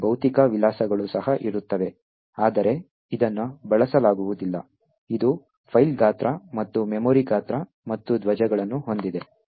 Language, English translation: Kannada, These physical addresses also present, but it is not used, it also has the file size and the memory size and the flags present